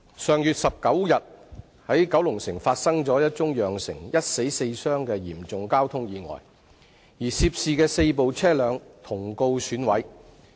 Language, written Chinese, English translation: Cantonese, 上月19日，九龍城發生一宗釀成一死四傷的嚴重交通意外，而涉事的四部車輛同告損毀。, On the 19 of last month a serious traffic accident occurred in Kowloon City killing one person and injuring four others and all of the four vehicles involved in the accident were damaged